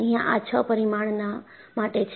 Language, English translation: Gujarati, And, this is for six parameters